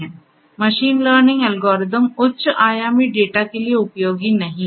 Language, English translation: Hindi, Machine learning algorithms are not useful for high dimensional data